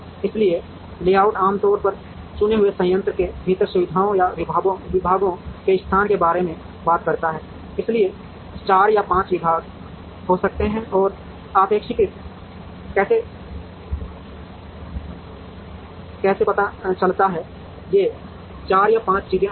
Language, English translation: Hindi, So, layout normally talks about location of facilities or departments within a chosen plant, so there could be 4 or 5 departments and how does one relatively locate, these 4 or 5 things inside